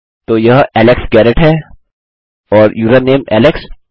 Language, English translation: Hindi, So thats Alex Garrett and username alex